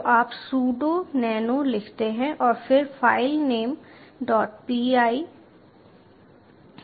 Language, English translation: Hindi, so you write sudo nano and then filename dot py